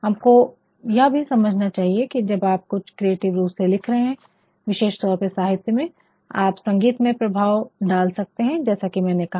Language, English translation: Hindi, We also should understand that when you are writing something creatively especially for literature, you can also produce as I have said a sort of musical effect